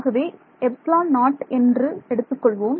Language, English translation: Tamil, So, let us write that out